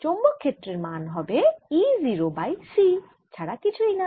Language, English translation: Bengali, the magnetic field magnitude is nothing but e, zero over c